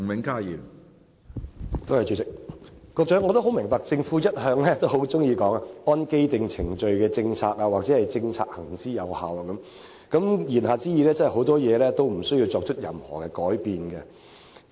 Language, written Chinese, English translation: Cantonese, 局長一向喜歡說"按既定程序的政策"或"政策行之有效"等，言下之意，很多事情也無須作任何改變。, The Secretary is fond of saying following the policy of established procedures or a certain policy has been implemented effectively . In other words he does not want to make any changes